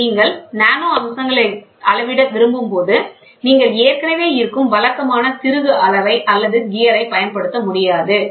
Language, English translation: Tamil, So, here when you want to measure nano features, you cannot use the existing conventional screw gauge or gear all these things cannot be used